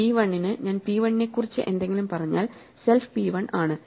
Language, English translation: Malayalam, So, for p 1 if I tell something about p 1 well in the context of p 1 self is p 1